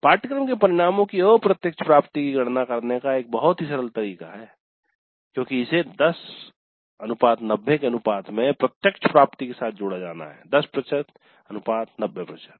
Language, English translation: Hindi, So, very very simple way of calculating the indirect attainment of the course of this is to be combined with the direct attainment in the ratio of 10 is to 90, 10% 90%